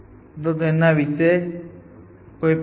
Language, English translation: Gujarati, So, any question about this